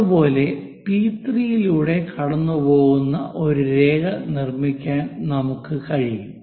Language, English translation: Malayalam, Similarly, we will be in a position to construct a line which pass through P 3